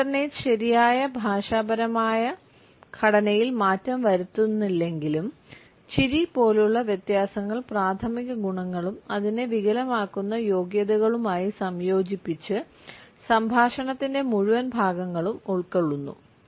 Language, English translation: Malayalam, Although alternates do not modify the proper linguistic structure, while differentiators such as laughter may cover whole stretches of speech combined with primary qualities and qualifiers distorting it